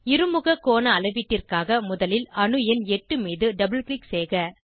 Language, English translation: Tamil, For measurement of dihedral angle, first double click on atom number 8